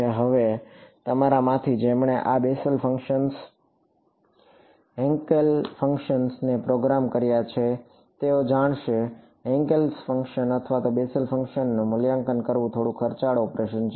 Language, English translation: Gujarati, Now those of you who have programmed these Bessel functions Hankel Hankel functions will know; that to evaluate Hankel function or a Bessel function is slightly expensive operation